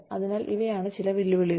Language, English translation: Malayalam, So, these are some of the challenges